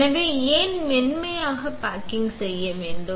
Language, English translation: Tamil, So, why to perform soft baking